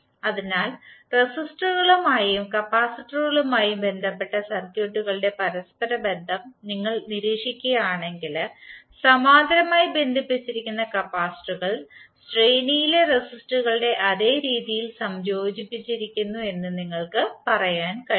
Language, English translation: Malayalam, So now if you observe the, the correlation of the circuits related to resistors and the capacitors, you can say that resistors connected in parallel are combined in the same manner as the resistors in series